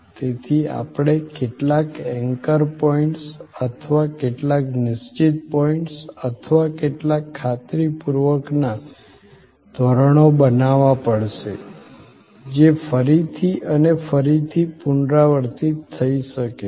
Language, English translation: Gujarati, So, we have to create some anchor points or some fixed points or some assured standards, which can be repeated again and again